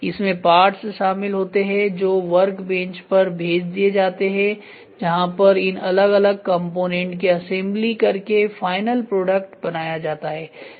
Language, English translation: Hindi, So, it involves parts that are transformed to workbenches, where the assembly of individual components into the final product takes place ok